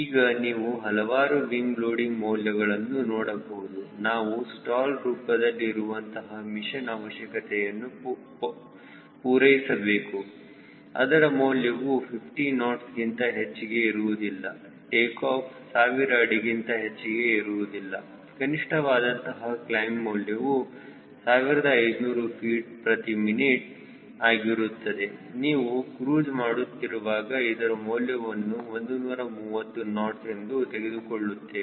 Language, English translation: Kannada, now you could see that so many values of wing loading we need to have to satisfy the mission requirements, which are in terms of stall, which cannot be more than fifty knots, take off, which cannot be more than thousand feet, climb minimum fifteen hundred feet per minute, and when i do a cruise we are taking around one thirty knots cruise in speed, we max could be more than that